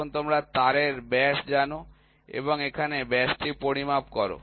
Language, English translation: Bengali, So, now, you know the diameter of the wire and you so, now, you measure that the diameter here